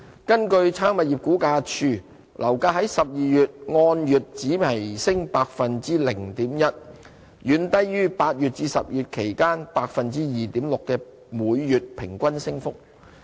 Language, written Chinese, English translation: Cantonese, 根據差餉物業估價署，樓價在12月按月只微升 0.1%， 遠低於8月至10月期間 2.6% 的每月平均升幅。, According to the Rating and Valuation Department property prices only slightly increased by 0.1 % monthly in December much lower than the monthly average increase of 2.6 % between August and October